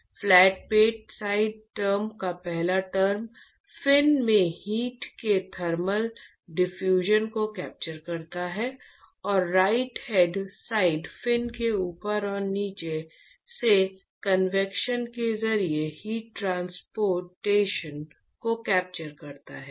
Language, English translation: Hindi, The first term the left hand side term captures the thermal diffusion of heat in the fin and the right hand side captures the heat transport via convection from the top and the bottom of the fin